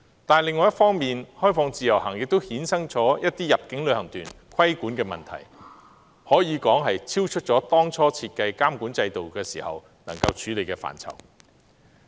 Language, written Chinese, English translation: Cantonese, 不過，開放自由行亦衍生了一些入境旅行團的規管問題，可說是超出當初設計監管制度能夠處理的範疇。, However the introduction of IVS has also created some regulatory problems of inbound tours which are beyond the scope of the regulatory regime as initially designed